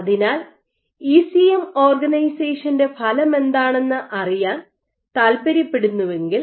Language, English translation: Malayalam, So, if you want to see what is the effect of ECM organization